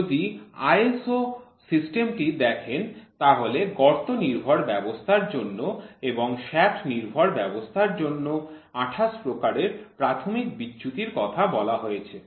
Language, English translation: Bengali, So, if you look at the ISO system defining 28 classes of basic deviation for hole base system and for shaft base system